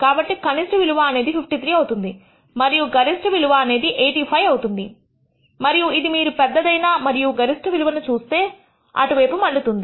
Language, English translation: Telugu, So, the lowest value will be about 53 and the highest value will be about 85 and it turns out if you look at the highest and maximum value and that is what it turns out to be